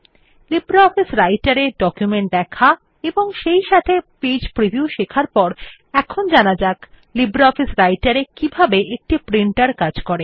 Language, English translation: Bengali, After learning how to view documents in LibreOffice Writer as well as Page Preview, we will now learn how a Printer functions in LibreOffice Writer